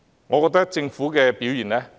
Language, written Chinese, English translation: Cantonese, 我覺得政府的表現應予批評。, In my opinion the Governments performance warrants criticism